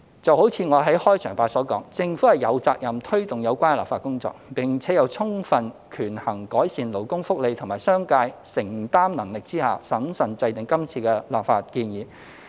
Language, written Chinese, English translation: Cantonese, 就如我在開場發言所說，政府有責任推動有關的立法工作，並且在充分權衡改善勞工福利及商界承擔能力之下，審慎制訂今次的立法建議。, Just as I said in my opening remarks the Government has the responsibility to press ahead the relevant legislative work and prudently formulated current legislative proposal after sufficiently weighing the improvement of labour welfare against the affordability of the business sector